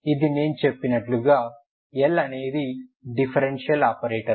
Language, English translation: Telugu, This is like if you see L is I said L is operator differential operator